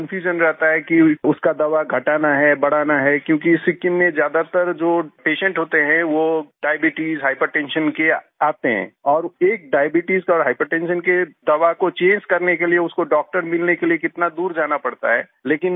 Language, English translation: Hindi, He is confused whether his medicine has to be increased or decreased, because most of the patients in Sikkim are of diabetes and hypertension and how far he will have to go to find a doctor to change the medicine for diabetes and hypertension